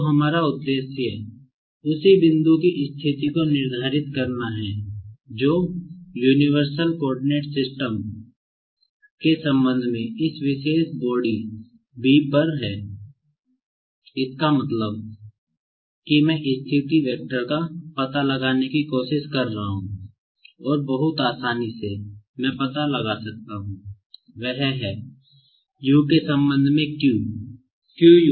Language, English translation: Hindi, So, our aim is to determine the position of the same point, which is lying on this particular body B with respect to the universal coordinate system, that means, I am trying to find out the position vector and very easily, I can find out, that is, Q with respect to U, that is, Q with respect to U is nothing but Q Borigin with respect to U plus Q with respect to B